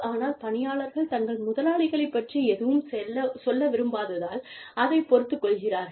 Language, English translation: Tamil, But, employees tolerate it, because, they do not want to say anything, about their bosses